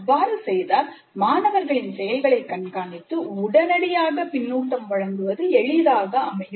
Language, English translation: Tamil, In that case it becomes possible to closely monitor the student activity and provide feedback immediately